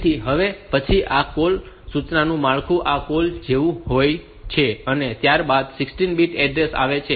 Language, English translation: Gujarati, So, next so, the structure of this call instruction is like this call followed by a 16 bit address